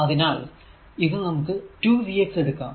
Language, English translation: Malayalam, So, that is why it is written say v x